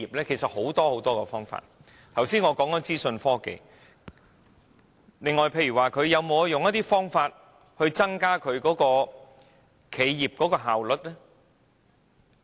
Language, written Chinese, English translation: Cantonese, 其實除了我剛才談過的資訊科技外，有否其他方法，例如自動化，以增加企業的效率？, Actually other than information technology that I mentioned earlier are there other ways such as automation to increase the efficiency of enterprises?